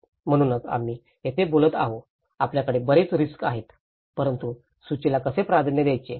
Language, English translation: Marathi, So, this is where we talk about, we have many risks but how to prioritize the list